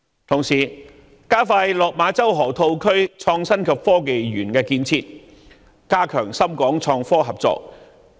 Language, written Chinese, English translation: Cantonese, 同時，我們應加快落馬洲河套區創新及科技園的建設，加強深港創科合作。, In the meantime we should expedite the development of an innovation and technology park in the Lok Ma Chau Loop to enhance cooperation between Shenzhen and Hong Kong in innovation and technology